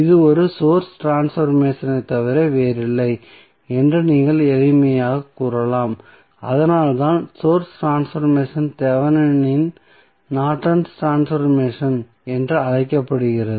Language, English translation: Tamil, So, you can simply say this is nothing but a source transformation that is why the source transformation is also called as Thevenin Norton's transformation